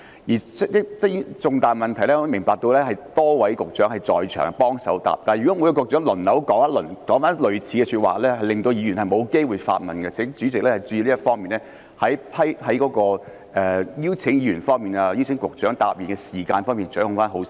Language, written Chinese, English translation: Cantonese, 關於這類重大問題，我明白有多位局長在場協助回答，但如果局長輪流作出類似的答覆，便會令議員沒機會發問，請代理主席就邀請議員提問及邀請局長回答的時間方面掌握得好一點。, In dealing with this kind of important questions I understand that more than one Director of Bureau will be present to assist in answering the questions but if the Directors of Bureaux just take turns in giving very similar replies some Members will not have the chance to ask their questions . Deputy President in inviting Members to ask questions and Directors of Bureaux to answer them could time be better managed?